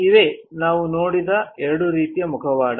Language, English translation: Kannada, There are two types of mask which we have seen